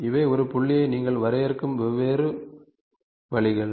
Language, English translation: Tamil, These are all different ways of defining a circle